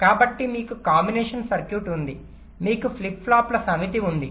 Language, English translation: Telugu, so you have a combinational circuit, you have a set of flip flops, so i am showing them separately